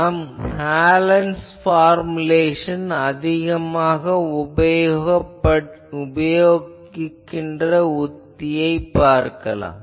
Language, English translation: Tamil, So, we will write the Hallen’s formulation is a very well known technique very much used